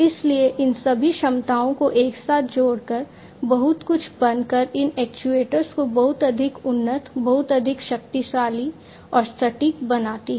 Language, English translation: Hindi, So, all of these capabilities combine together, becoming much, you know, making these actuators much more advanced, much more powerful, and much more accurate